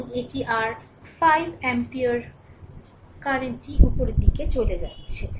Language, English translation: Bengali, And this is your 5 ampere current moving upwards